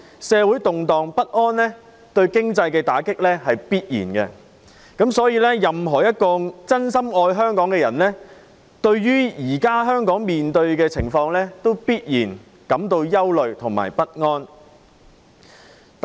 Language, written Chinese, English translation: Cantonese, 社會動盪不安必然對經濟造成打擊，所以任何一個真心愛香港的人，對於現時香港面對的情況必然感到憂慮不安。, Social instability will surely strike a blow to our economy . Thus anyone who truly loves Hong Kong will feel worried and anxious about the current situation in Hong Kong